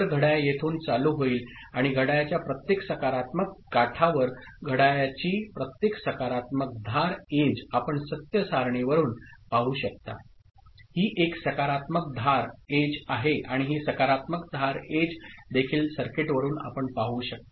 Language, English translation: Marathi, So, clock start triggering over here and at every positive edge of the clock; every positive edge of the clock you can see from the truth table, it is positive edge triggered and also you can see from the circuit that this positive edge triggered